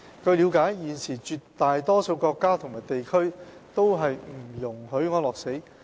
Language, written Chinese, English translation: Cantonese, 據了解，現時絕大多數國家和地區都不容許安樂死。, According to our understanding euthanasia is currently not allowed in the vast majority of countries and areas in the world